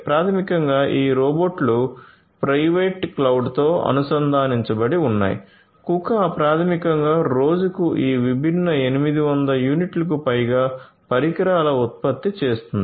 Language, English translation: Telugu, So, basically these robots are connected with a private cloud and so, Kuka basically produces more than 800 units of these different devices per day